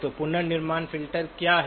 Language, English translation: Hindi, So what is the reconstruction filter